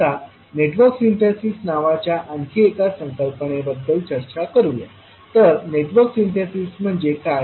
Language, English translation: Marathi, Now let us talk about another concept called Network Synthesis, so what is Network Synthesis